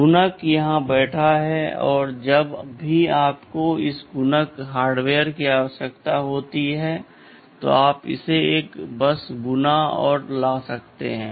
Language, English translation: Hindi, The multiplier is sitting here; whenever you need this multiplier hardware you can multiply and bring it to the, a bus